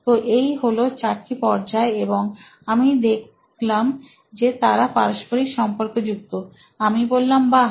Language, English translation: Bengali, So, these are the four stages, and I found out they were correlated and I said, “Wow